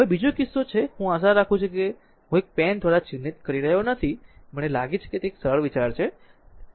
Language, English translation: Gujarati, Now, second case is, it is I hope I am not marking it by pen I think it is simple think